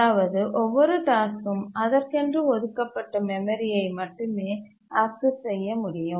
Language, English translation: Tamil, That is, each task can access only those part of the memory for which it is entitled